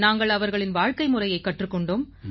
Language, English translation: Tamil, We learnt elements from their way of life, their lifestyle